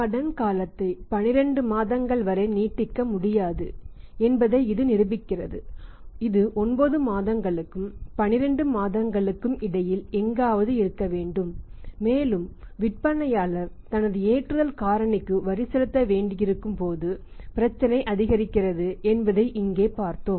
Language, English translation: Tamil, And it proves that the credit period cannot be extended up to 12 months it has to be somewhere between 9 months and the 12 months and we have seen here that the problem for the aggravates when the seller has to pay the tax on his loading factor also which is not his profit the prop tax is paid normally on the profit not on the loading factor